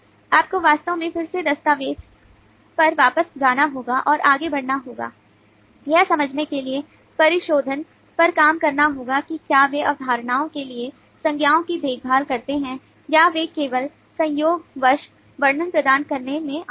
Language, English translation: Hindi, so you really have to go back to the document again and proceed further work on the refinements to understand whether they care concepts, nouns for concepts, or they are just incidentally came in providing the description